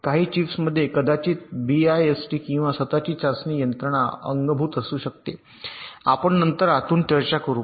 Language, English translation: Marathi, some of the chips may be having a best or a built in self test mechanism that we will talk about later inside